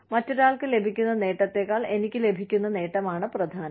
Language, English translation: Malayalam, The benefit coming to me, is more important than, the benefit going to, anyone else